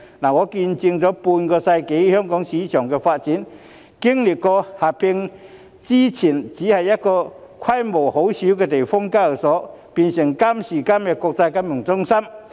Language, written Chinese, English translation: Cantonese, 我見證了半個世紀香港證券市場的發展，在四會合併前，香港只有規模細小的地方性交易所，但今時今日香港已經成為國際金融中心。, I witnessed the development of the Hong Kong stock market in half a century . There were only small local exchanges in Hong Kong before the four exchanges were unified but Hong Kong has now become an international financial centre